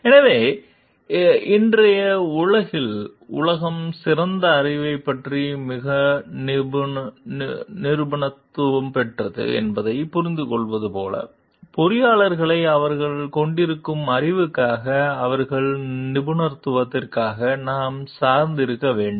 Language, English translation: Tamil, So, like when in today s world we understand the world is so much specialized about specialized knowledge, we have to depend on the engineers for their expertise for their knowledge that they are having